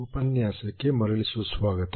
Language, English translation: Kannada, Welcome back to the lecture